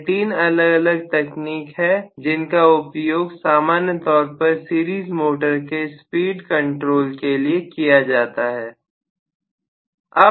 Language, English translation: Hindi, These are the 3 different types of techniques that are used normally for the speed control of a series motor